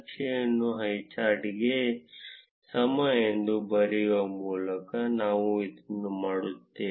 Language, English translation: Kannada, We do this by writing chart is equal to highchart